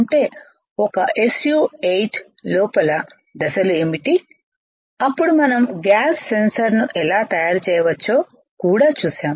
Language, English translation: Telugu, Within an s u 8 what are the steps then we have also seen how we can fabricate a gas sensor right